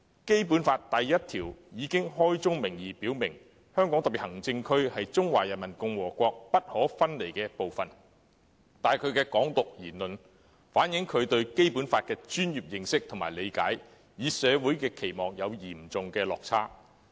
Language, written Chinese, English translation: Cantonese, 《基本法》第一條已開宗明義表明："香港特別行政區是中華人民共和國不可分離的部分"，但他的"港獨"言論卻反映他對《基本法》的專業認識和理解，與社會期望有很大落差。, Article 1 of the Basic Law states at the outset that The Hong Kong Special Administrative Region is an inalienable part of the Peoples Republic of China . His remark on Hong Kong independence however does reflect that his professional knowledge and understanding of the Basic Law is a far cry from the expectation of society